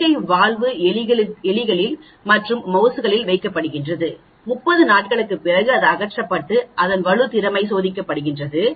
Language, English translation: Tamil, Artificial valve was placed in rats and mouse for 30 days; they were removed and tested for wear